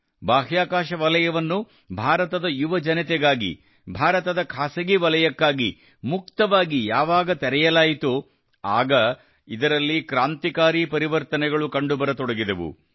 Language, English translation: Kannada, Since, the space sector was opened for India's youth and revolutionary changes have started coming in it